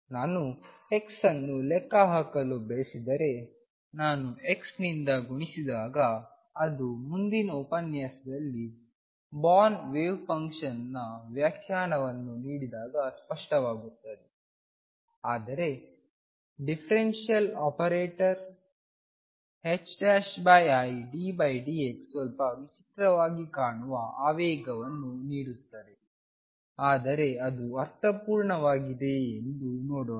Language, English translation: Kannada, So, there it seems to be that if I want to calculate x, I just multiply by x that will be clear in the next lecture when I give the born interpretation for the wave function, but differential operator h cross over i d by d x giving momentum that looks a little odd, but let us see does it make sense